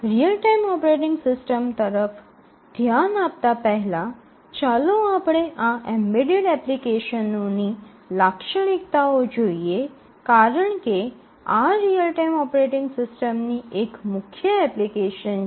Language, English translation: Gujarati, Before we look at the real time operating system let us just spend a minute or to look at the characteristics of these embedded applications because these are one of the major applications areas of real time operating systems